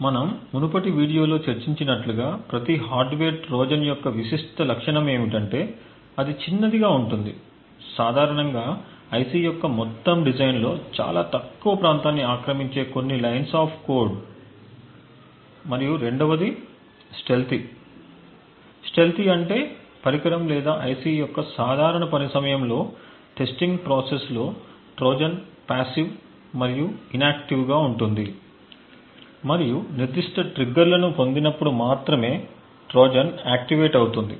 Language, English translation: Telugu, As we discussed in the previous video, one thing that was quite characteristic of every hardware Trojan is that it is small, typically a few lines of code occupying a very less area in the entire design of the IC and secondly it is stealthy, stealthy means that it is mostly passive during the normal working of the device or the IC as well as during most of the testing process the Trojan is a passive and inactive and the Trojan only gets activated when specific triggers are obtained